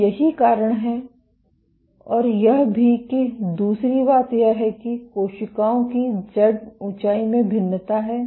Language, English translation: Hindi, So, this is why this and also the other thing is cells have a variation in Z height